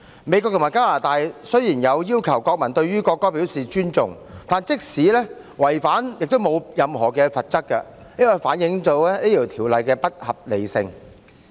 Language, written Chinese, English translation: Cantonese, 美國和加拿大雖然要求國民尊重國歌，但即使違反要求，也沒有任何的罰則，這反映《條例草案》不合理。, The United States and Canada require their nationals to respect their national anthems but no penalty will be imposed on anyone who contravenes the requirement . This reflects that the Bill is unreasonable